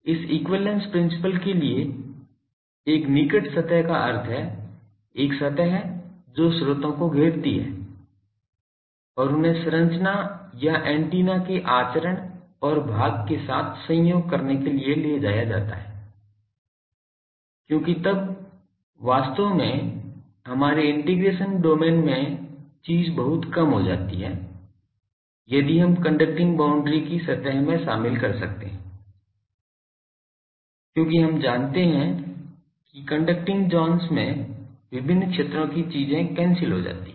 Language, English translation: Hindi, It a close surface means for this equivalence principle that, a surface which encloses the sources and they are taken to coincide with the conduct and part of the structure or antenna because then our actually the thing is our integration domain gets very much reduced, if we can include in the surface the conduction conducting boundary, because in the we know that in conducting zones various fields things gets cancelled